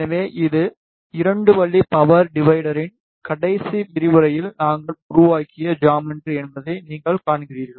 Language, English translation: Tamil, So, you see this is a geometry that we created in the last lecture of 2 way power divider